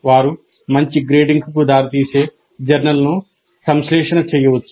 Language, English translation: Telugu, They might synthesize a journal which leads to better grading